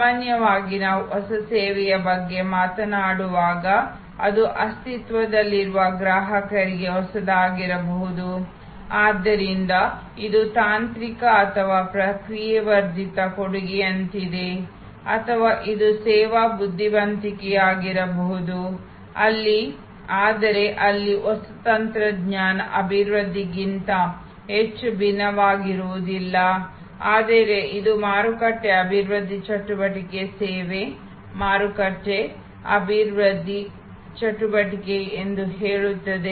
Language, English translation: Kannada, Normally, when we talk about new service it can therefore, either be new to the existing customers, so this is the more like a technological or process enhanced offering or it can be service wise not very different not much of new technology development here, but it say market development activity service market development activity